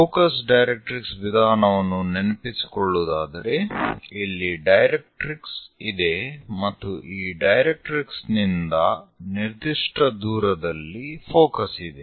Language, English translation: Kannada, Just to recall in focus directrix method, there is a directrix and focus is away from this directrix at certain distance